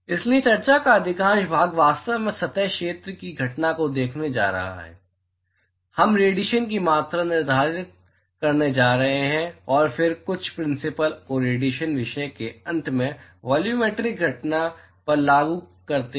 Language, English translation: Hindi, So, most part of the discussion were actually going to look at the surface area phenomenon we are going to characterize radiation quantify etcetera and then apply some the principles to the volumetric phenomenon towards the end of the radiation topic